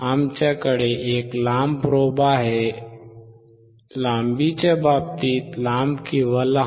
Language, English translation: Marathi, We have a longer probe, longer in terms of length or shorter one